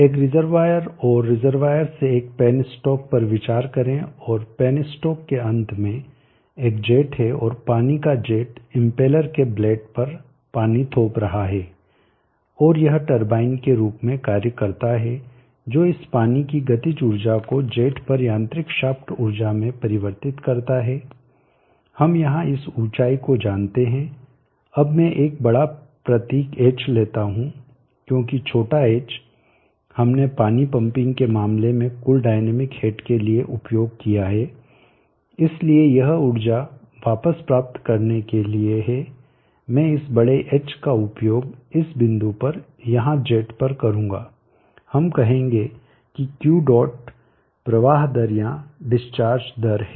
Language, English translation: Hindi, Consider a reservoir and from the reservoir a pen stock and at the end of the one stock there is a jet and the jet of water is in pinching on the blades of the impeller and this act as the turbine which converts the kinetic energy of the water in this jet to the mechanical shaped energy and we know this height here, now I will give a symbol upper case h because lower case h we have used for total dynamic hacked in the case of water pumping so this for retrieving energy I will use this upper cases h and this point here at the jet we will say Q